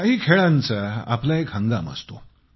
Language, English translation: Marathi, Some games are seasonal